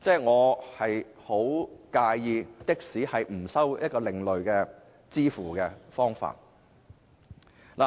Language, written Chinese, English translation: Cantonese, 我十分介意的士不接受另類的付款方法。, I do mind taxis not accepting alternative payment methods